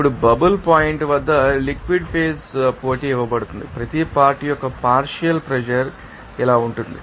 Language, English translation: Telugu, Now, at the bubble point the liquid phase competition is given so, that partial pressure of each component is as like this